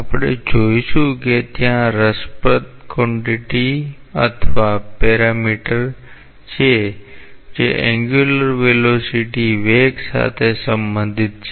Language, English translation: Gujarati, We will see that there are interesting quantities or parameters which are related to the angular velocity of the fluid